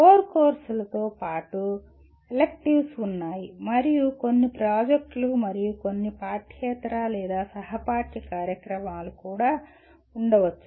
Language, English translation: Telugu, In addition to core courses, there are electives and also there are may be some projects and some extracurricular or co curricular activities